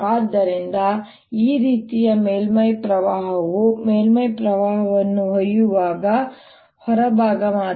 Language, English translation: Kannada, so surface current like this, this only the outer one that carries the surface current